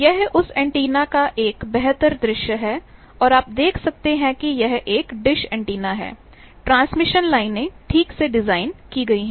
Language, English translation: Hindi, This is a better view of that antenna and you can see it is a dish antenna, but there are serve on the back of it, there are transmission lines properly designed